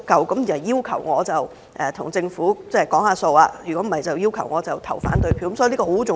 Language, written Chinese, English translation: Cantonese, 他們要求我與政府討價還價，否則便要求我表決反對，所以這很重要。, They have asked me to bargain with the Government and―if my efforts are in vain―vote against the Bill . This is therefore a significant point